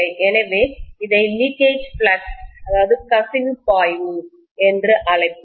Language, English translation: Tamil, So we will call this as the leakage flux